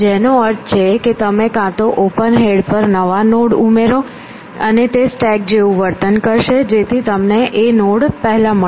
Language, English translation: Gujarati, which means that you either add the new ends at the head of open then it behaves like a stack because, they will be first once to be inspected